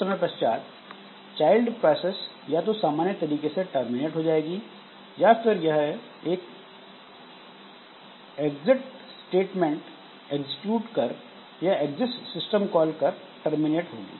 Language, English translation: Hindi, And then after some time the child process either terminates normally or it executes an exit statement or exit system call by which it terminates